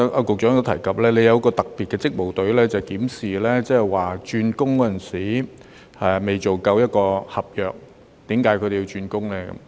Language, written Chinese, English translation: Cantonese, 局長剛才提及，當局設有特別職務隊，負責檢視外傭未完成合約便轉工的情況。, Just now the Secretary mentioned that a special duties team has been set up to examine cases of FDHs changing jobs before completion of contracts